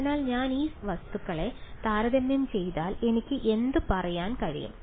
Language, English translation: Malayalam, So, if I just compare these guys what can I say